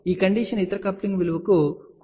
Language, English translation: Telugu, This condition is valid for any other coupling value also